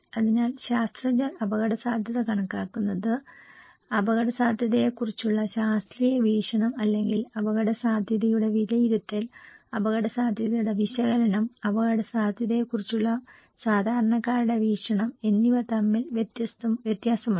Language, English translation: Malayalam, So, there is a difference between what scientists are estimating the risk, the scientific perspective of the risk or estimation of risk and analysis of risk and the common man’s perspective of risk